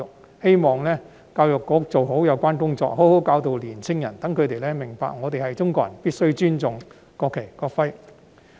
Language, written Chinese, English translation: Cantonese, 我希望教育局做好有關工作，好好教導年青人，讓他們明白我們是中國人，必須尊重國旗、國徽。, I hope that the Education Bureau can handle the work well and teach young people properly so as to let them know they are Chinese and must respect the national flag and national emblem